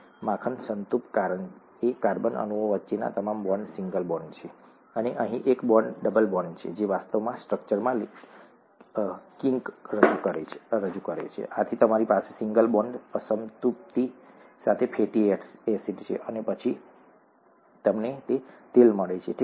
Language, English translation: Gujarati, Butter, saturated because all the bonds between carbon atoms are single bonds, and here one bond is a double bond, which actually introduces a kink in the structure and you have a fatty acid with one, one bond unsaturation, and then you get oil, okay